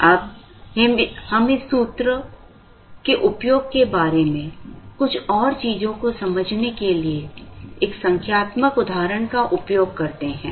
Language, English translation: Hindi, Now, let us workout a numerical example to understand a few more things about this formula and the use of this formula